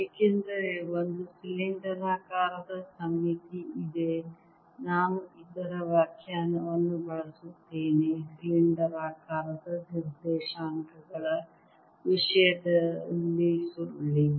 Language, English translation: Kannada, since there is a cylindrical symmetry, i use the definition of curve in terms of cylindrical coordinates and cylindrical coordinate, since i want only the five component